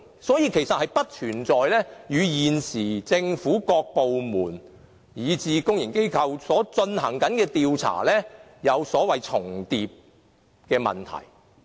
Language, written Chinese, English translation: Cantonese, 所以，根本不存在立法會的調查與現時政府各部門，以至公營機構進行的調查，出現所謂重疊的問題。, Therefore there is simply no such problem that an inquiry of the Legislative Council will not duplicate the efforts of other investigations done by any government departments and even public - sector organizations